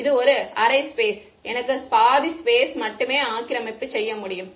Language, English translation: Tamil, So, it is a half space right I have access only to half the space